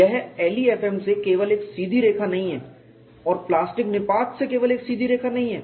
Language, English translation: Hindi, It is not simply a straight line from LEFM and straight line from plastic collapse